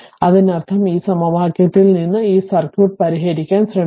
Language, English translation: Malayalam, And that means, from this equation we have to try to solve this circuit